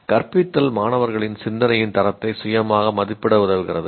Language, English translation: Tamil, Instruction enables students to self assess the quality of their thinking